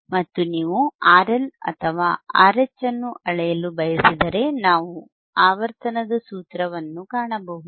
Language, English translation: Kannada, And if you want to measure R L or R H, we can find a formula of frequency